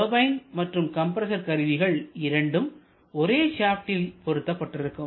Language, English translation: Tamil, Both turbine and compressor are always mounted on the same shaft